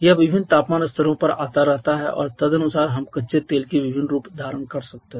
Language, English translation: Hindi, This count keeps on coming up at different temperature levels and accordingly we can have different forms of crude oil